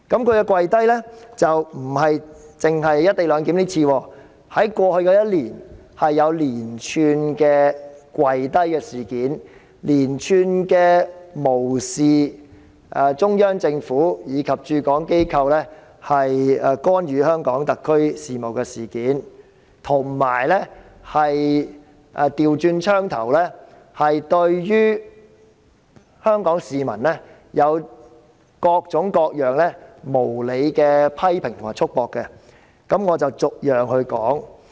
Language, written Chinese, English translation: Cantonese, 而她不僅只就"一地兩檢""跪低"一次，在過去1年，有連串的"跪低"事件，連串無視中央政府及駐港機構干預香港特區事務的事件，以及反過來對於香港市民有各種各樣無理的批評和束縛，我以下將逐一細說。, She did not just kowtow once in relation to the co - location arrangement . In the past year she has made a series of kowtows paying no heed to the series of interferences made by the Central Government and its offices in Hong Kong and conversely exerting all sorts of unreasonable criticisms and constraints on the Hong Kong people . I am going to discuss these one by one